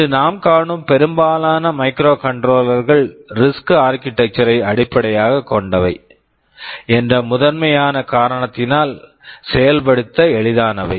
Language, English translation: Tamil, Most of the microcontrollers that we see today they are based on the RISC architecture, because of primarily this reason, they are easy to implement